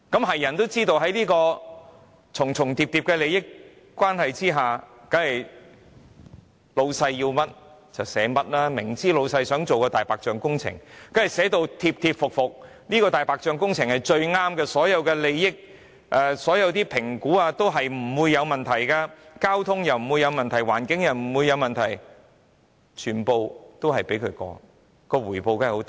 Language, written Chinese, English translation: Cantonese, 誰也知道，在重重疊疊的利益關係下，當然是老闆想要甚麼，它們便寫甚麼，明知老闆想進行"大白象"工程，當然便會寫得貼貼服服，指這項"大白象"工程是最好的，所有的評估也表示不會有問題；交通不會有問題、環境也不會有問題，全部也通過，當然它們所得的回報也會很大。, Everyone knows in the relationship with overlapping interests they will of course write the report in accordance with whatever the boss wants . Knowing full well that the boss wants to carry out white elephant projects they of course will gladly be obliged to point out that the white elephant project is the best and all assessments will be fine the traffic assessment will be fine the environmental impact assessment will be fine―all of them will pass . They will certainly earn rich rewards